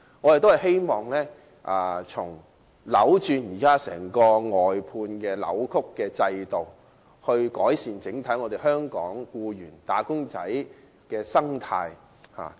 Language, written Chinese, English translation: Cantonese, 我們均希望能糾正現時扭曲的外判制度，以改善香港僱員、"打工仔"的整體生態。, We all hope that the existing distorted outsourcing system can be rectified so that the ecology of wage earners in general can be improved